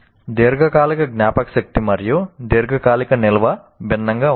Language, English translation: Telugu, And here long term memory and long term storage are different